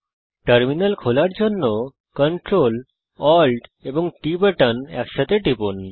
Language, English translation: Bengali, To open a Terminal press the CTRL and ALT and T keys together